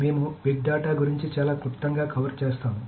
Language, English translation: Telugu, So we will cover very briefly about big data